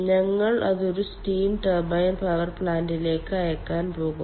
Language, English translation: Malayalam, we are sending it to a steam turbine power plant